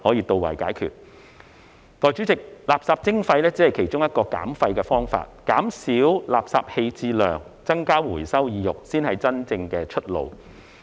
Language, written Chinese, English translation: Cantonese, 代理主席，垃圾徵費只是其中一個減廢的方法，減少垃圾棄置量、增加回收意欲，才是真正的出路。, Deputy President waste charging is only one of the ways to achieve waste reduction . The real way out should be reducing the waste disposal volume and enhancing the inclination for recycling